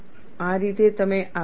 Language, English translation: Gujarati, This is how you proceed